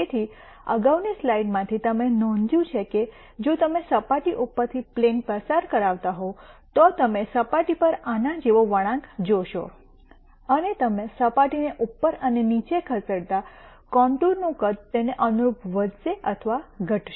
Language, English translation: Gujarati, So, from the previous slide you would notice that if you were to pass a plane through the surface you would see a curve like this would be traced on the surface, and as you move the surface up and down the size of the contour will increase or decrease corre spondingly